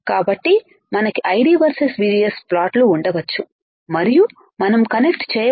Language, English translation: Telugu, So, we can have ID versus VGS plot and we can connect the current line